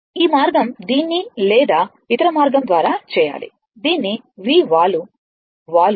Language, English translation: Telugu, This way you have to make it or other way, you have to make it V is equal to your slope m into t plus C right